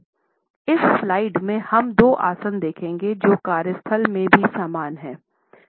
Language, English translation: Hindi, In this slide we would look at two postures which are also same in the workplace